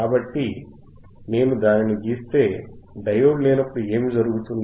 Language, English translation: Telugu, So, if I draw that, when their diode is not there and what will happen